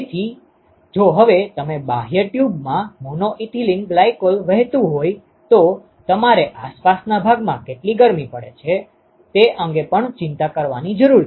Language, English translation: Gujarati, So, if you now flow mono ethylene glycol in the outer tube, then you also have to worry about the amount of heat that is lost to the surroundings